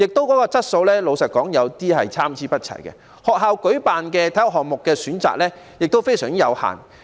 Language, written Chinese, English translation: Cantonese, 老實說，訓練質素也是參差不齊的，而學校舉辦的體育項目選擇亦非常有限。, Frankly speaking the quality of training varies . Besides the choices of sports offered by schools are also very limited